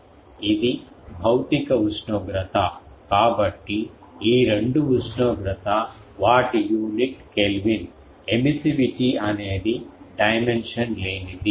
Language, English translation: Telugu, This is the physical temperature, so both these temperature their unit is Kelvin emissivity is dimensionless